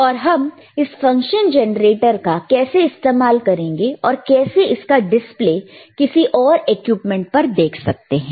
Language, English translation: Hindi, Now how to use this function generator, and how to see the display on some other equipment